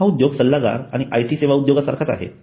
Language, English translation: Marathi, This industry is similar to consulting and IT services industry